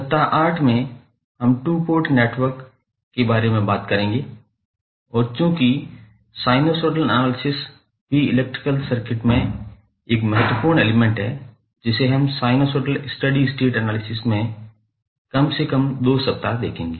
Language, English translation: Hindi, Then, on week 8 we will talk about the 2 port network and since sinusoidal is also one of the important element in our electrical concept we will devote atleast 2 weeks on sinusoidal steady state analysis